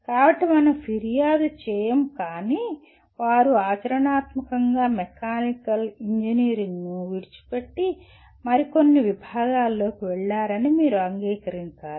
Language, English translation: Telugu, So we do not complain but you have to acknowledge that they have left practically the mechanical engineering and went into some other discipline